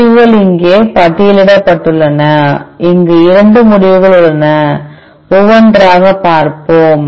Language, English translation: Tamil, The results are listed here there are 2 results here let us say let us see one by one